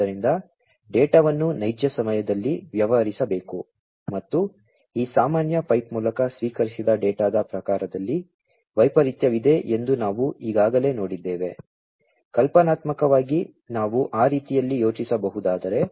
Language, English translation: Kannada, So, the data will have to be dealt with in real time and we have already seen that there is heterogeneity in the type of data that is received through this common pipe, conceptually, if we can think of that way